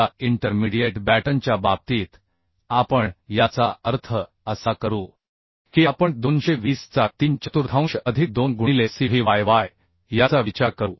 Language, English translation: Marathi, Now in case on intermediate batten we will means will consider same that is 3 fourth of 220 plus 2 into cyy so that is becoming 201